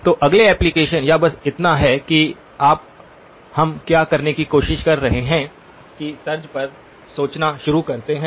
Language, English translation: Hindi, So the next application or just so that you start thinking along the lines of what we are trying to do